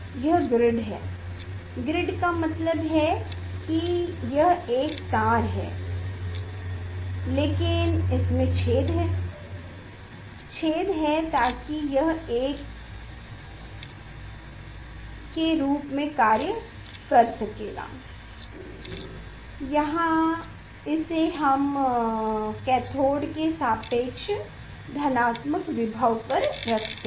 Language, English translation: Hindi, This is the grid; grid means it is the one wire but having the holes; having the holes so that this will act as a; here we are giving positive voltage with respect to the cathode